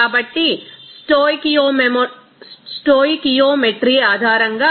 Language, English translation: Telugu, So, based on this stoichiometry is coming